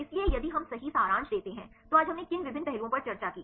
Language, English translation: Hindi, So, if we summarize right, what are the various aspects we discussed today